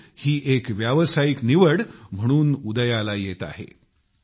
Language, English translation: Marathi, Sports is coming up as a preferred choice in professional choices